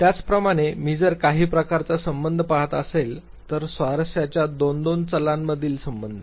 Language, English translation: Marathi, Similarly, if I am looking at some type of a relationship, relationship between any two variables of interest